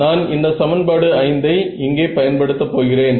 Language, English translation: Tamil, 2 m, but I know that if I use equation 5 over here